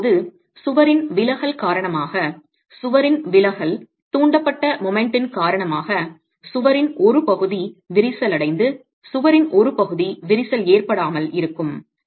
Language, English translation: Tamil, Now, due to the deflection of the wall, due to the deflection of the wall because of the moment induced by the eccentricity of the load, part of the wall will crack and part of the wall will remain uncracked